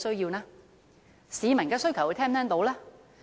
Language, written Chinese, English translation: Cantonese, 又能否聽到市民的需求呢？, And can they hear the demands of members of the public?